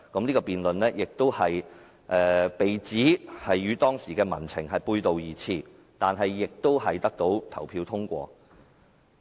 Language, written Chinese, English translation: Cantonese, 這項辯論亦被指與當時的民情背道而馳，但亦在投票中獲得通過。, The motion although was said to run contrary to the public sentiment was passed at the vote